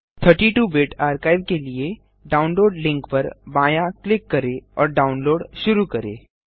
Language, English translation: Hindi, Left click on the download link for the 32 Bit archive and download starts